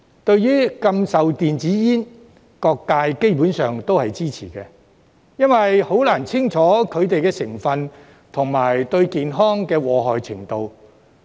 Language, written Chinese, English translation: Cantonese, 對於禁售電子煙，各界基本上都是支持的，因為很難清楚了解它們的成分及對健康的禍害程度。, The ban on the sale of e - cigarettes is basically supported by all sectors since it is difficult to figure out clearly their ingredients and how harmful they are to health